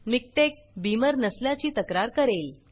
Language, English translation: Marathi, MikTeX complains that Beamer is missing